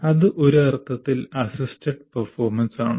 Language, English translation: Malayalam, That is in some sense assisted performance